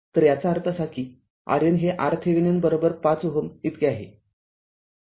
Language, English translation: Marathi, So that means, R Norton is same as R Thevenin is equal to your 5 ohm right